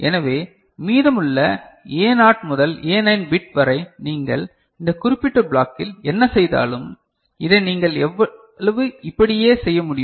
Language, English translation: Tamil, So, whatever you do with the rest of the A0 to A9 bit, that is happening over here in this particular block and how much you can go ahead with this